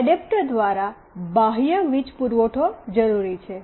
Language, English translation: Gujarati, An external power supply through an adapter is required